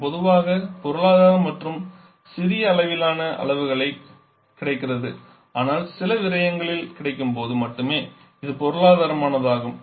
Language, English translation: Tamil, This is generally economic and also available over large range of sizes but it is economic only when some wastage is available